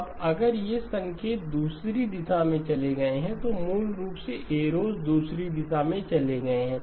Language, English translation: Hindi, Now if these signals had gone in the other direction basically the arrows have gone in the other direction